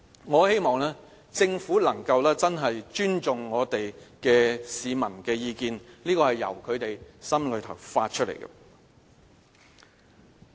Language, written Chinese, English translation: Cantonese, 我希望政府能夠真的尊重市民的意見，這是由他們心內發出來的。, Their views are easy to understand as it is their heartfelt wishes that the Government would really respect the public opinions